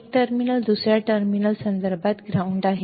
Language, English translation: Marathi, One terminal is ground with respect to the second terminal right